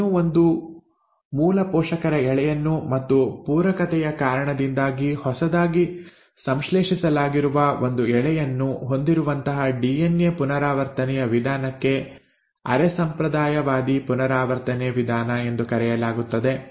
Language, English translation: Kannada, So such mode of DNA replication, where it still has the original parental strand, one of it and one of this is newly synthesised because of complementarity is called as semi conservative mode of replication